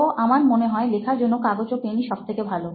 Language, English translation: Bengali, So I think pen and paper is the best to write those things now